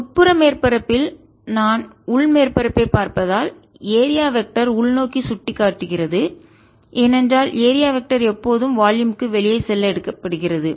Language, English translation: Tamil, in the inner surface, if i look at the inner surface, the area vector is pointing invert because area vector is always taken to be going out of the volume